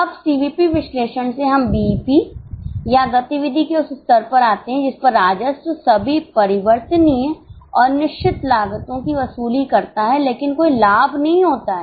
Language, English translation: Hindi, Now from CVP analysis we come to BP or that level of activity at which revenues recover all variable and fixed costs but there is no profit